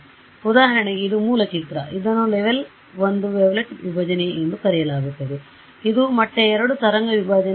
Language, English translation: Kannada, So, for example, this is the original image, this is what is called a level 1 wavelet Decomposition, this is a level 2 wavelet Decomposition level